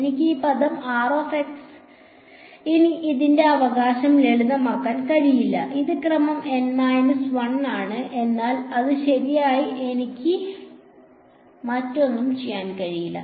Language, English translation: Malayalam, I cannot simplify this r x term anymore its right, it is of order N minus 1, but that is about it right I cannot do anything else